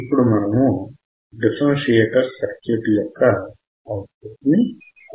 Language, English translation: Telugu, Now, we are measuring the output of the differentiator